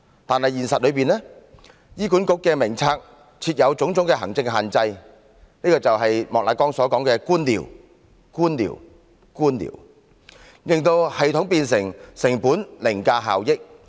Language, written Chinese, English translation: Cantonese, 可惜，現實中，醫管局的藥物名冊設有種種行政限制——這便是莫乃光議員所說的官僚——令系統變成成本凌駕效益。, Unfortunately in reality there is a variety of administrative restrictions under the Drug Formulary of HA―that is bureaucracy as Mr Charles Peter MOK called it―thus making the consideration of costs outweigh that of benefits under the mechanism